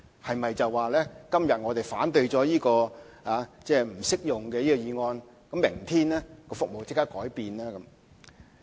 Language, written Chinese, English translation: Cantonese, 是不是今天我們反對這項"計劃不適用於新專營權"的議案，明天服務就會立刻改變呢？, Does he think that if Members oppose this motion on excluding the application of PCS from the new franchise today the relevant services can be immediately improved tomorrow?